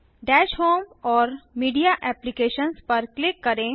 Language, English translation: Hindi, Click on Dash home Media Applications